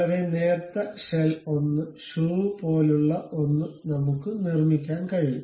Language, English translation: Malayalam, A very thin shell one will be in a position to construct something like a shoe